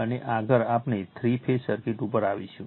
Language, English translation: Gujarati, And next, we will come to the three phase circuit